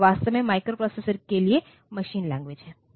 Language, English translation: Hindi, So, they are actually the machine language for the microprocessor